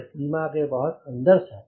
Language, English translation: Hindi, it is well within the range